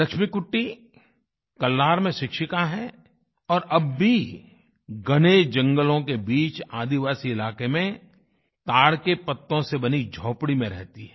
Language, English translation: Hindi, Laxmikutty is a teacher in Kallar and still resides in a hut made of palm leaves in a tribal tract amidst dense forests